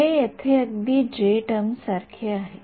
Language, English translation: Marathi, This is exactly like the j term over here